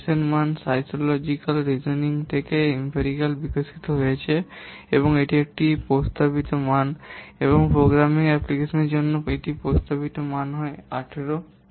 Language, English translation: Bengali, The value of S has been empirical developed from psychological reasoning and it is recommended value and its recommended value for programming application is 18